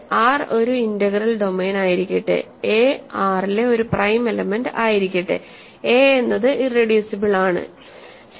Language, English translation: Malayalam, Let R be an integral domain and let a in R be a prime element; then a is irreducible, ok